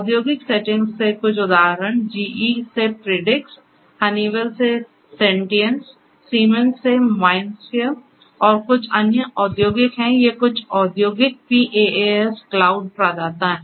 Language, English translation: Hindi, Some of the examples from the industrial settings are Predix from GE, Sentience from Honeywell, MindSphere from Siemens and some industrial these are some of the industrial PaaS cloud providers